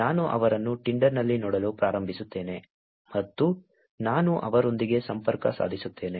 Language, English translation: Kannada, I start looking at them on Tinder and I connect with them